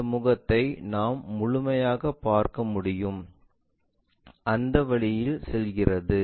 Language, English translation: Tamil, This face entirely we can see, goes in that way